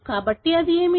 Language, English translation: Telugu, So, what it is